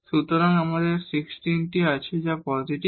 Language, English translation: Bengali, So, we have the 16, which is positive